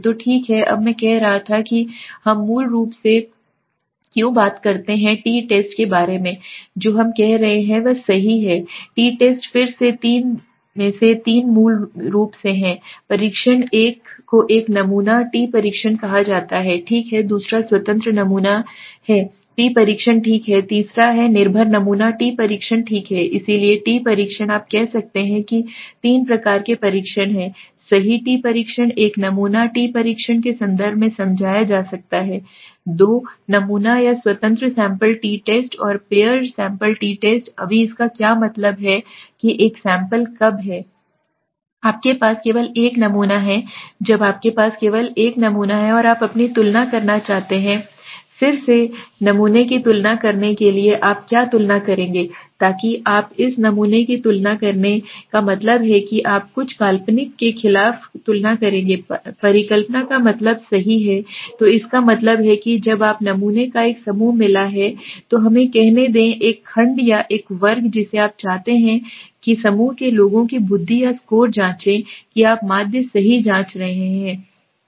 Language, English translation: Hindi, So okay now I was saying so that is why we basically when we talk about the t test right what we are doing is t test is of again is of three there are three basically tests one is called one sample t test okay the second is independent sample t test okay the third is the dependent sample t test okay so the t test has been you can say there are three types of test right the t test can be explain in terms of the one sample t test the two sample or independent sample t test and the pair sample t test right now what does it mean what is that one sample when you have only one sample When you have only one sample and you want to compare you want to compare again sampling right what will you compare so you will compare this one sample the mean of this sample against what you will compare against some hypothetical some hypothesized mean right so that means let us say when you have got a group of sample let us say the intelligence or the score of a group of people right of one section or one class you want to check the you are checking the mean right